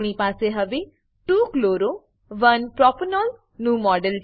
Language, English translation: Gujarati, We now have the model of 2 chloro 1 propanol